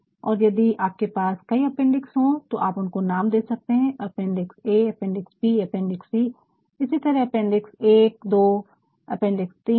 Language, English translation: Hindi, And, if you have several appendixes, you can name appendix a, appendix b, appendix c, like that appendix 1, 2, 3 like that